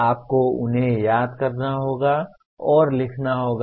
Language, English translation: Hindi, You have to recall them and write